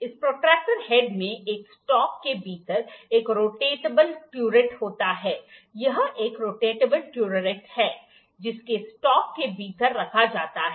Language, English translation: Hindi, This protractor head comprises of a rotatable turret within a stock, this is a rotatable turret, which is held within a stock